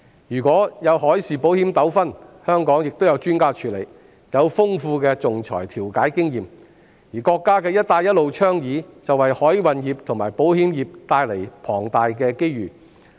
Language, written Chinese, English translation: Cantonese, 如果出現海事保險糾紛，香港亦有專家處理，他們有豐富的仲裁調解經驗，而國家倡議的"一帶一路"建設，也為海運業和保險業帶來龐大機遇。, There are experts in Hong Kong with extensive experience in arbitration and mediation to deal with disputes in maritime insurance . The Belt and Road Initiative proposed by the State also creates huge opportunities for the maritime and insurance industries